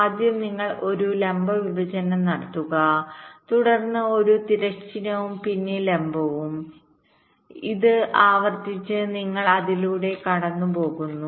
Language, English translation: Malayalam, first you do a vertical partition, then a horizontal, then vertical, and this iteratively